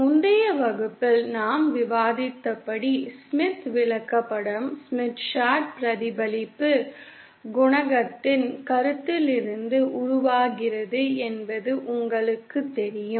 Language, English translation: Tamil, So as you know, as we discussed in the previous class, the Smith Chart originates from the concept of the reflection coefficient